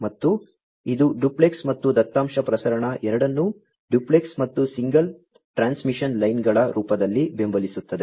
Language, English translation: Kannada, And, it supports both duplex and you know, data transmission in the form of duplex, and single you know transmission lines